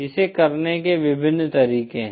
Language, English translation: Hindi, There are various ways of doing it